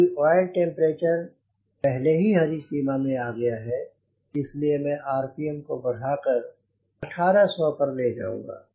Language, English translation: Hindi, since the oil temperature is already in the ground green range and moving ahead, i will take the rpm to eighteen hundred